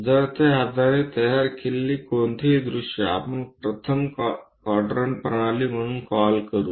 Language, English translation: Marathi, So, any views constructed based on that we call first quadrant